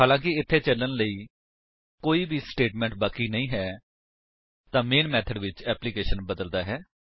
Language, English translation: Punjabi, Since there are no statements left to execute, in the main method, the application terminates